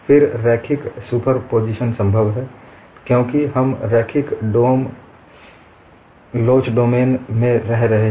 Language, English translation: Hindi, You could add them, because we are living in the domain of linear elasticity